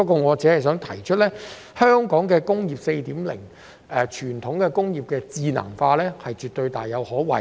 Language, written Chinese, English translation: Cantonese, 我只想指出，香港"工業 4.0" 推動的傳統工業智能化大有可為。, I just want to highlight the huge development potential presented by the intelligentization of traditional industries under Industry 4.0 in Hong Kong